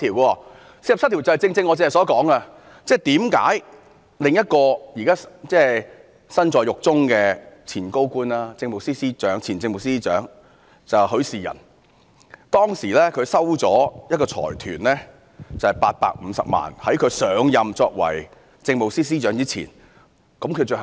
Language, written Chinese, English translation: Cantonese, 第四十七條正正是我剛才所說，為何另一個現時身在獄中的前高官——前政務司司長許仕仁，他在上任政務司司長前收取了一個財團的850萬元，最後被裁定有罪呢？, Article 47 manifests what I have said just now . Why was the former Chief Secretary for Administration Rafael HUI one of the senior officials being jailed now found guilty ultimately for collecting a sum of 8.5 million from a consortium before he assumed the office as the Chief Secretary for Administration?